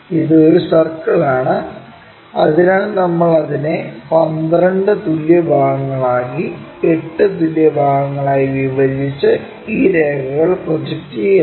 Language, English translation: Malayalam, It is a circle, so we divide that into 12 equal parts, 8 equal parts and project these lines